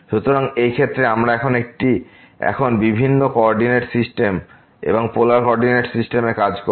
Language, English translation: Bengali, So, in this case we are will be now working on different coordinate system and in polar coordinate